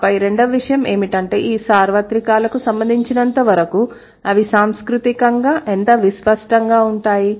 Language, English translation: Telugu, And then the second one, the second thing is as far as these universals are concerned, how culturally that's going to be distinct